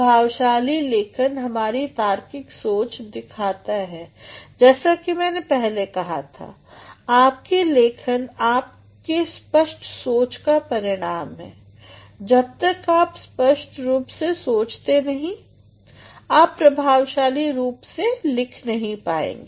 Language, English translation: Hindi, Effective writing actually reflects our logical thinking as I said earlier, your writing is the result of your clear thinking unless or until you think clearly you cannot write effectively